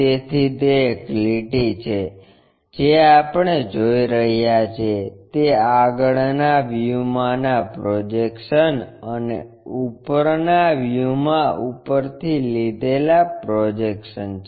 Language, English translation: Gujarati, So, it is a line what we are seeing is projections in the front view and projection from the top in the top view